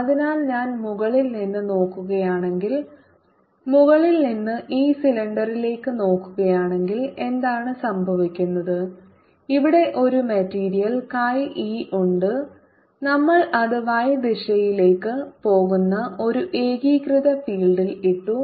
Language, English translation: Malayalam, so if i look at it from the top, if i look at this cylinder from the top, what is happening is here is a material, chi e, and we have put it in a uniform field going in the y direction